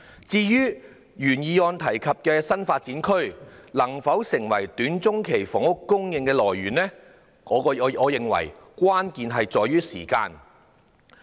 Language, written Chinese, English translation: Cantonese, 至於原議案提及的新發展區能否成為短中期房屋供應來源，我認為關鍵在於時間。, As regards whether the new development areas mentioned in the original motion can become the source of housing supply in the short - to - medium term I think the crux lies in the matter of time